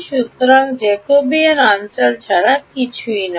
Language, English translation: Bengali, So, the Jacobian is nothing but the area of